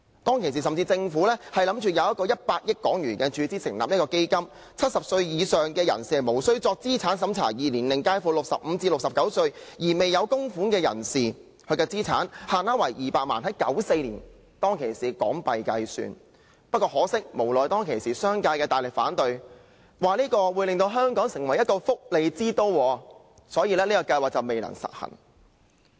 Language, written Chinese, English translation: Cantonese, 當時，政府甚至計劃注資100億港元成立資金 ，70 歲以上人士無須作資產審查；而年齡介乎65歲至69歲而未有供款的人士，資產限額為200萬元，這是在1994年以港元計算，但很可惜，無奈當時商界大力反對，指措施會令香港成為福利之都，所以計劃最終未能實行。, At that time the Government even planned to make a capital injection of HK10 billion as a start - up fund . Residents aged 70 and above would not be subject to a means test whereas those aged between 65 and 69 who had not made any contributions would be subject to an asset limit of 2 million calculated in Hong Kong dollars of 1994 . But regrettably due to strong opposition from the business sector which alleged that this measure would turn Hong Kong into a welfare metropolis the proposed OPS eventually did not come to fruition